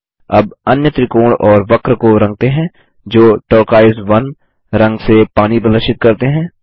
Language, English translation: Hindi, Next, lets color the other triangle and curve that represent water with the colour turquoise 1